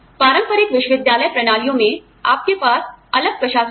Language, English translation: Hindi, In, traditional university systems, you have separate administrators